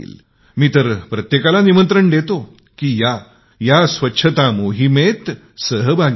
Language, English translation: Marathi, I invite one and all Come, join the Cleanliness Campaign in this manner as well